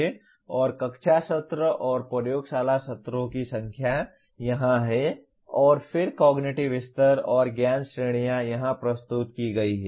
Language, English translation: Hindi, And number of class sessions and lab sessions are here and then cognitive levels and knowledge categories are presented here